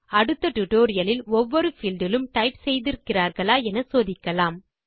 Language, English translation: Tamil, In the next tutorial we will check if every single field is typed in as they are all required for registration